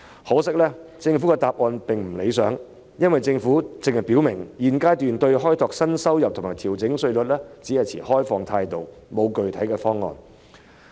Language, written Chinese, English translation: Cantonese, 可惜，政府的答覆未如理想，只表明現階段對開拓新的收入來源及調整稅率持開放態度，但卻沒有具體方案。, Regrettably the Government has given an unsatisfactory reply only saying that at this stage it adopts an open attitude towards seeking new revenue sources and revising tax rates while failing to put forward a specific plan